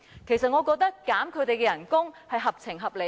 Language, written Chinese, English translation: Cantonese, 其實我覺得削減他們的薪酬是合情合理的。, In fact I think reducing their salary is entirely reasonable . Let me talk about it one by one